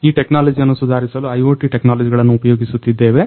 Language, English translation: Kannada, So, we are using IoT technologies to improve this technologies by